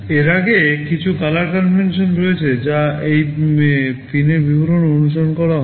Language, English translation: Bengali, Before that there are some color conventions that are followed in those pin descriptions